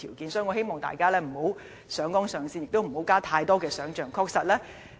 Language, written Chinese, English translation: Cantonese, 因此，我希望大家不要上綱上線，也不要加入太多想象。, Therefore I hope that Members will not overplay the matter or put in too much imagination